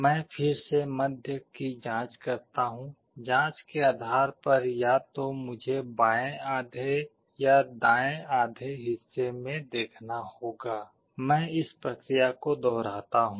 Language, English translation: Hindi, I again probe in the middle, depending on the probe either I have to see in the left half or the right half; I repeat this process